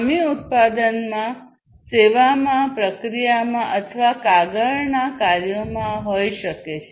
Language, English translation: Gujarati, Defects defects can be in the product, in the service, in the process or in the paper works